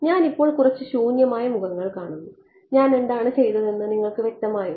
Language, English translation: Malayalam, I see a few blank faces, is it clear what I did